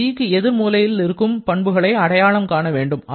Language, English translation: Tamil, For g, you have to identify both the opposite corners